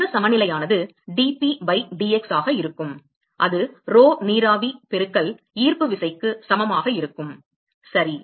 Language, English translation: Tamil, The momentum balance will be dP by dx that is equal to rho vapor into gravity ok